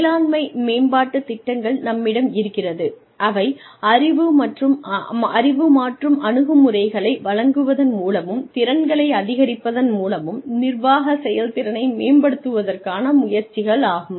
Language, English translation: Tamil, Then, we have management development programs, which are the attempts, to improve managerial performance, by imparting knowledge, changing attitudes, and increasing skills